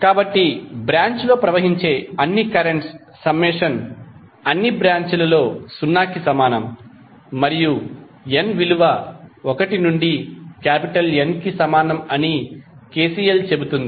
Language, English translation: Telugu, So KCL says that the summation of all the currents flowing in the branch, in all the branches is equal to 0 and the in that is the subscript for current is varying from n is equal to 1 to N